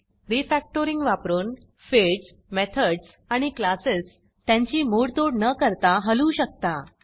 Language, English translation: Marathi, With Refactoring, you can easily move fields, methods or classes around, without breaking things